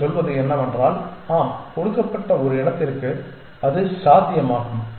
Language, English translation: Tamil, What you are saying has the point that yes it is possible that for a given species